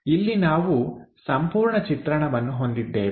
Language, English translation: Kannada, Here we have a whole representation